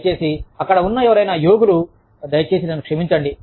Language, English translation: Telugu, Please, so, any yogis out there, please forgive me